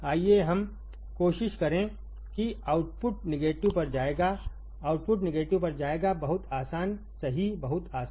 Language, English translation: Hindi, Let us try my output will go to negative, the output will go to negative right easy very easy, right, very easy